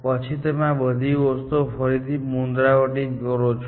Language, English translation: Gujarati, Then, you try all these same things again